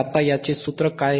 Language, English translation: Marathi, Now what is the formula